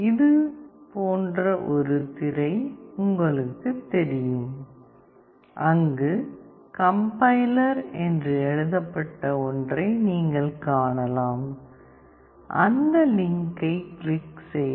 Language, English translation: Tamil, You will have a screen like this where you will find something which is written called compiler; click on that complier